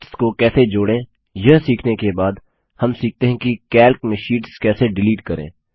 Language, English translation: Hindi, After learning about how to insert sheets, we will now learn how to delete sheets in Calc